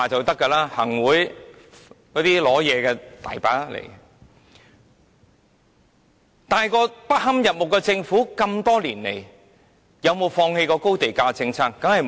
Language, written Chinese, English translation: Cantonese, 多年來，這個不堪入目的政府有沒有放棄過高地價政策？, Has this detestable Government ever abandoned the high land - price policy over the years?